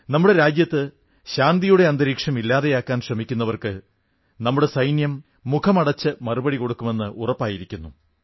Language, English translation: Malayalam, It has now been decided that our soldiers will give a befitting reply to whosoever makes an attempt to destroy the atmosphere of peace and progress in our Nation